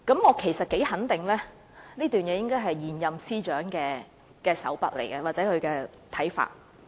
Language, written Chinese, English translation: Cantonese, 我幾可肯定，有關內容是出自現任司長的手筆或是他的看法。, I am quite certain that these contents are added by the incumbent Financial Secretary or are based on his own views